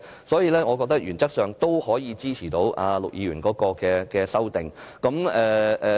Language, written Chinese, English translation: Cantonese, 所以，我認為原則上我們可以支持陸議員的修正案。, For this reason I consider that we can support Mr LUKs amendment in principle